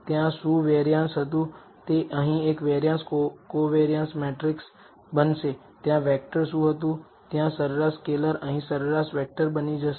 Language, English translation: Gujarati, What was a variance there it will become a variance covariance matrix here, what was a vector there scalar there might mean scalar might become a mean vector here